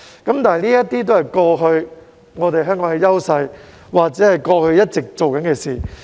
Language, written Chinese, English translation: Cantonese, 但是，這些都是香港過去的優勢，或是過去一直在做的事。, However these were the previous strengths of Hong Kong or what we did in the past